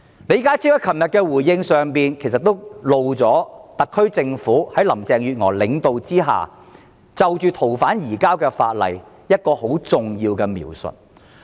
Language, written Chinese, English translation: Cantonese, 李家超昨天的回應其實揭露了特區政府在林鄭月娥的領導下對《條例草案》的一項重要描述。, John LEEs reply yesterday actually revealed an important description of the Bill by the SAR Government led by Mrs Carrie LAM